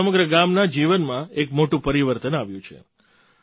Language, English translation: Gujarati, This has brought a big change in the life of the whole village